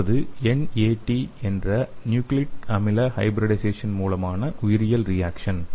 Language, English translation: Tamil, So next one is biological reaction by nucleic acid hybridization that is NAT